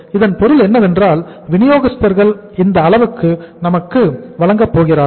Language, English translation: Tamil, It means suppliers are going to give us this much of the credit